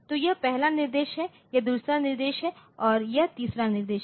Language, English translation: Hindi, So, this is the first instruction, this is the second instruction, this is the third instruction